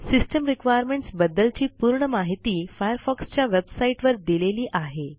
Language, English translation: Marathi, For complete information on System requirements, visit the Firefox website shown on the screen